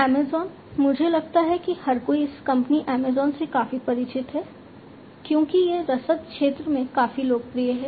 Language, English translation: Hindi, Amazon, I think everybody is quite familiar with this company Amazon, because it is quite popular in the logistics sector